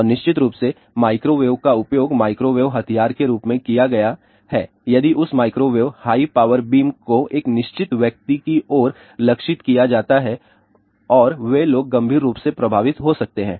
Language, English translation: Hindi, And, of course, microwave has been used as a microwave weapon if that microwave high power beam is targeted towards a certain person of people and those people can gets seriously affected